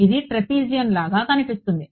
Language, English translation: Telugu, It will look like a trapezium right